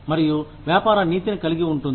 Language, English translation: Telugu, And, that is Business Ethics